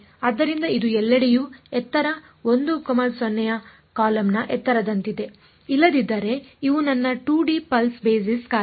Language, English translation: Kannada, So, its like a its a column of height 1, 0 everywhere else these are my 2D pulse basis function